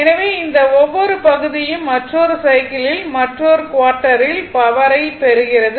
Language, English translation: Tamil, So, this each part, it is receiving energy another cycle another quarter